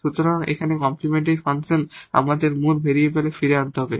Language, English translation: Bengali, So, here this complementary function we have to write down back to the original variables